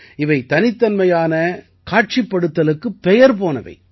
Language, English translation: Tamil, It is also known for its unique display